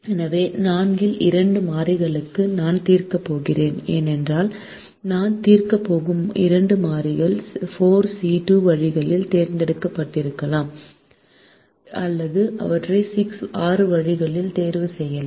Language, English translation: Tamil, so if i am going to solve for two variables out of four, the two variables that i am going to solve can be chosen in four c two ways, or they can be chosen in six ways